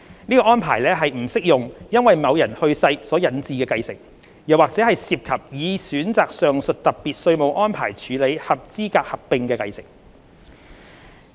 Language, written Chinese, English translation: Cantonese, 這項安排不適用於因某人去世所引致的繼承，或涉及已選擇上述特別稅務安排處理合資格合併的繼承。, Such tax treatment will not apply to transfer by way of succession on the death of the person concerned or a qualifying amalgamation whereby the amalgamated company has elected for the above mentioned special tax treatment